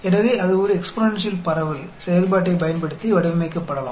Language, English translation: Tamil, So, that could be modeled using an exponential distribution function